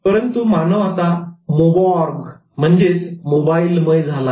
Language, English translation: Marathi, But humans have become mobarks, mobile organisms